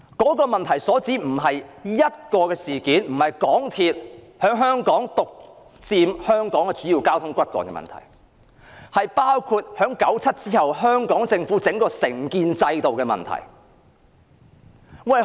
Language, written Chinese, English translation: Cantonese, 這個問題所涉及的並非單一事件，也不是香港鐵路有限公司獨佔香港主要交通的問題，而是1997年後政府的承建制度問題。, The question does not merely involve an isolated incident or the monopolization of Hong Kongs major transportation by the MTR Corporation Limited but also the contracting system of the Government after 1997